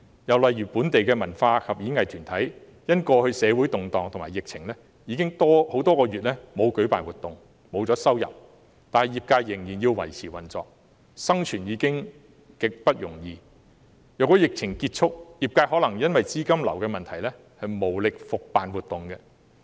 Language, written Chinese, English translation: Cantonese, 又例如，本地文化及演藝團體因為過去社會動盪及疫情等，已經很多個月沒有舉辦活動，失去收入，但業界仍然要維持運作，生存已經極不容易，即使疫情結束，業界也可能因資金流的問題而無力復辦活動。, Another example is that in the wake of the previous social turmoil and epidemic situation local cultural and performing arts groups have already stopped organizing any events for months and lost their income but the industries still have to maintain operation . Survival is just not easy . Even after the epidemic is over the industries may not be able to organize any events again due to cash flow problems